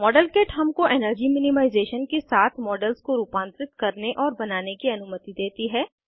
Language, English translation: Hindi, Modelkit allows us to build and modify models with energy minimization